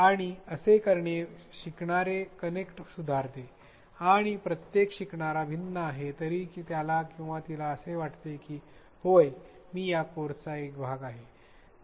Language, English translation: Marathi, And, this improves what is known as learner connect; however, different each learner is he or she feels that yes I am part of the course